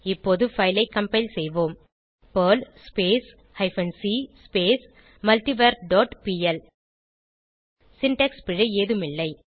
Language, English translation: Tamil, Now compile the file by typing perl hyphen c multivar dot pl There is no syntax error